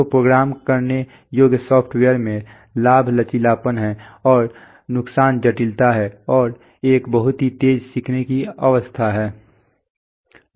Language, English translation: Hindi, So in programmable software, you, the advantages is flexibility and the disadvantages is complexity and a very steep learning curve